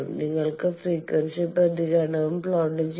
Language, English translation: Malayalam, You can plot the frequency response also